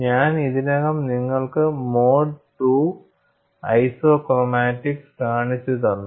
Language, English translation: Malayalam, I have already shown you mode 2 isochromatics, a similar to mode 2 isochromatics